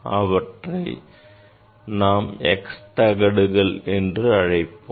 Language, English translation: Tamil, that we tell the x plate